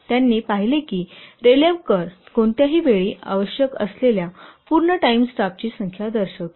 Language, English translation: Marathi, He observed that the Raleigh curve presents the number of full time personnel required at any time